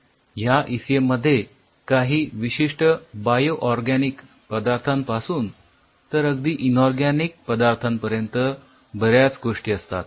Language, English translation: Marathi, we will talk about this synthetic ecm, from very unique bio organic kind of things to very inorganic kind of things